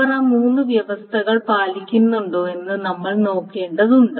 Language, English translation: Malayalam, So now we need to see if they follow those three conditions